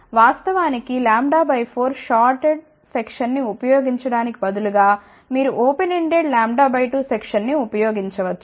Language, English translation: Telugu, Of course, instead of using lambda by 4 shorted section, you can also use open ended lambda by 2 section